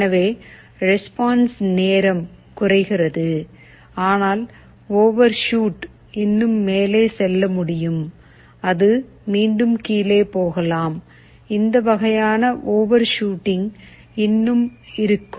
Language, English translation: Tamil, So response time is decreased, but overshoot still remains as it can go up and it can again go down, this kind of overshooting will still be there